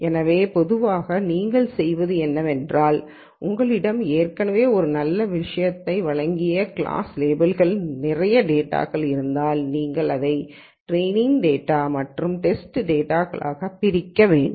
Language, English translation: Tamil, So, typically what you do is if you have lots of data with class labels already given one of the good things, you know that one should do is to split this into training data and the test data